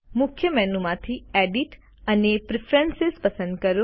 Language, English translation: Gujarati, From the Main menu, select Edit and Preferences